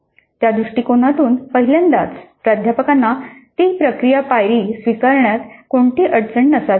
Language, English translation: Marathi, Looked it from that perspective, faculty should have no problem in adopting that process step